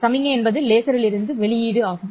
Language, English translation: Tamil, Signal is the output from the laser